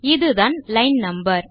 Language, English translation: Tamil, This is the line no